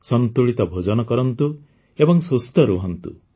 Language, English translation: Odia, Have a balanced diet and stay healthy